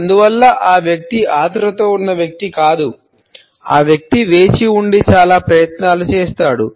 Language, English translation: Telugu, And therefore, the person is not a hurried person the person would wait and put in a lot of effort